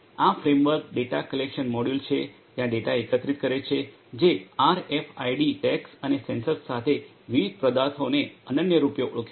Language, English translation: Gujarati, This framework collects the data the data collection module is there which uniquely identifies the different objects with RFID tags and sensors